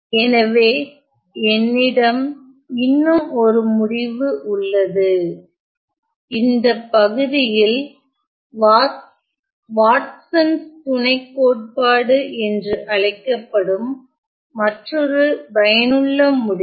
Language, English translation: Tamil, So, then I have 1 more result, in this section another useful result called the Watsons lemma